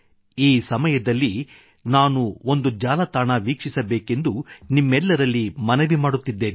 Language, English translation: Kannada, In this context, I urge all of you to visit a website ekbharat